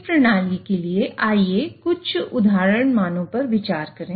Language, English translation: Hindi, So, for this system, let us consider some example values